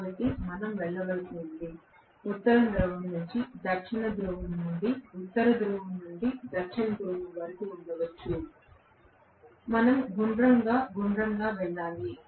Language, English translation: Telugu, So, we will have to go, may be from North Pole to South Pole to North Pole to South Pole, we have to go round and round